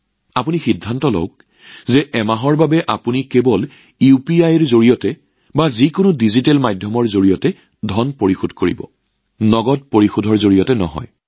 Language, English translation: Assamese, Decide for yourself that for one month you will make payments only through UPI or any digital medium and not through cash